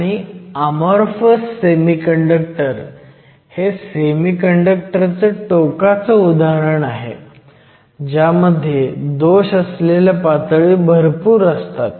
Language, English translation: Marathi, And, amorphous semiconductor is an extreme example of a semiconductor the large number of defect states